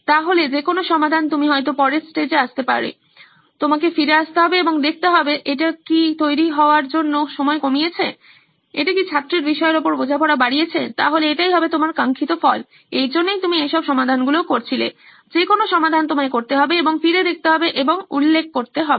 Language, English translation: Bengali, So any solution, you may come up with in the later stages, you have to come back and see, has it reduced the time of preparation, has it increased the understanding of the topic for the student, so that would be your desired result, that’s where you are working for that’s all the solution, any solution you come up with, you have to go back and refer to this